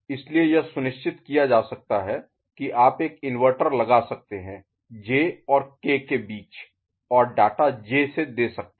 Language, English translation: Hindi, So, that is ensured you can put an inverter and all at the between J and K and feed the data from J ok